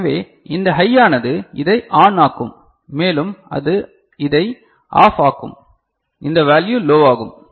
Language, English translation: Tamil, So, this high will make this one ON right and that will make it OFF this will this value will be low